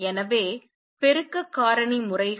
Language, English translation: Tamil, So, amplification factor times